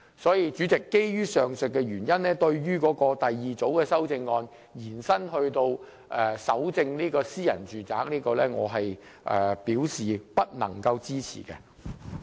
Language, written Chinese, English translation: Cantonese, 所以，主席，基於上述原因，對於第二組修正案把搜證權力延伸至搜查私人住宅，我不能夠支持。, Therefore Chairman based on the above mentioned reasons I cannot support the second group of amendment which seeks to extend the power of evidence collection to cover searches of private domestic premises